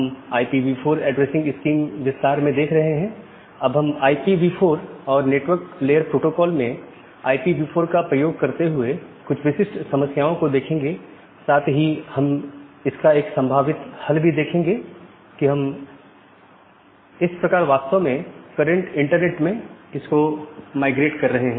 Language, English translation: Hindi, So, now, we will look into a specific problems in IPv4 addressing and network layer protocol using IPv4 and we will look a possible solution about how we’re actually mitigating that problem in the current internet